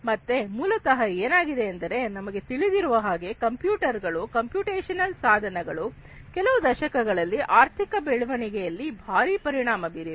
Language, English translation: Kannada, So, basically what has happened is as we know that computers, computational devices etcetera has had a huge impact in our economic growth in the last few decades